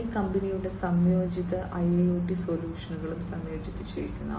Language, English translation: Malayalam, And this company is also incorporating integrated IIoT solutions